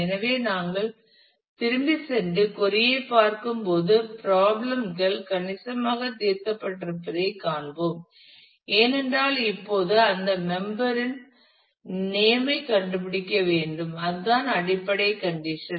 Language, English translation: Tamil, So, we look at go back and look at the query again we will see that problems have got significantly solved, because we now still have to find that member name and this is the basic condition which say